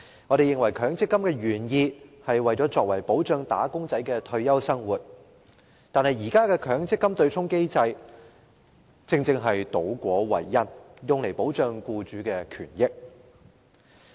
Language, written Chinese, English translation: Cantonese, 我們認為，設立強積金原意是為了保障"打工仔"的退休生活，但現時的強積金對沖機制卻倒果為因，用來保障僱主的權益。, In our view the original intent of setting up MPF was to protect the retirement life of wage earners . But the existing MPF offsetting mechanism has put the cart before the horse which serves to protect the interests of employers